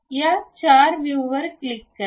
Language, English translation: Marathi, Let us click this four view